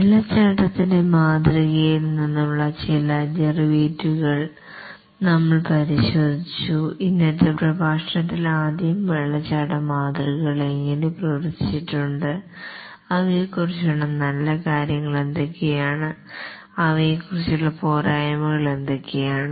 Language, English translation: Malayalam, We had looked at some of the derivatives from the waterfall model and in today's lecture we will first see how the waterfall models have done what are the good things about them and what were the shortcomings about them